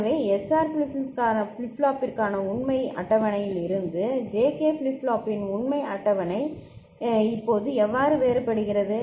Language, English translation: Tamil, So, how the truth table now becomes different from the truth table we had for SR flip flop ok